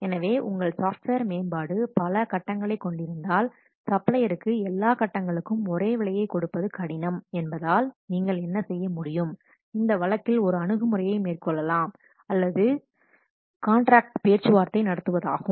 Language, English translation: Tamil, So, if your software development consists of many stages, then what you can do in the since it is difficult for the supplier to give a single price in this case one approach can be or one approach would be to negotiate a series of contracts